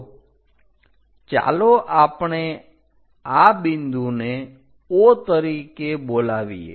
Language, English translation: Gujarati, So, let us call this point as O